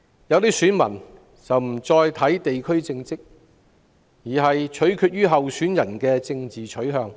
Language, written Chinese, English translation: Cantonese, 有些選民不再考慮地區政績，反而注重候選人的政治取向。, Some voters no longer consider the candidates performance in the districts but focus on their political orientations